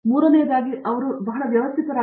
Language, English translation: Kannada, Third is that they should be very systematic